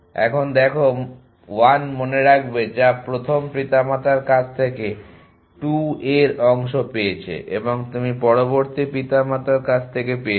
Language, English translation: Bengali, Now, remember this see 1 which is got part of the 2 a from the first parent and you on the next from the other parents